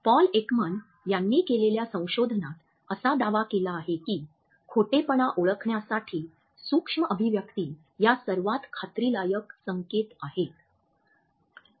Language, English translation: Marathi, In his research Paul Ekman has claimed that micro expressions are perhaps the most promising cues for detecting a lie